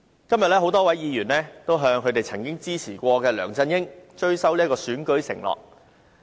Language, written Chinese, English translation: Cantonese, 今天多位議員向他們曾支持過的梁振英追討，要他履行選舉承諾。, Today a number of Members seek to make LEUNG Chun - ying whom they once supported right the wrong by honouring the promises made by him when he ran in the election